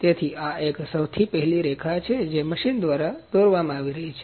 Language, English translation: Gujarati, So, this is a very first line that is being drawn by the machine